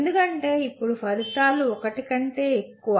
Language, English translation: Telugu, Because now outcomes can be are more than one